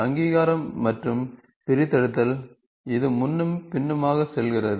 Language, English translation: Tamil, Recognition extraction, this goes back and forth